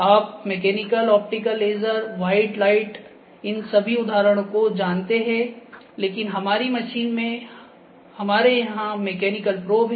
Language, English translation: Hindi, Mechanical optical is like you know laser, white light all these examples, but probe we have here in our machine is the mechanical probe ok